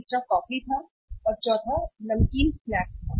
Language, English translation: Hindi, Third was coffee and fourth one was the salted snacks